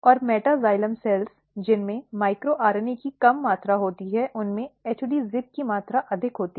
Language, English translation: Hindi, And meta xylem cells which has low amount of micro RNA has high amount of HD ZIP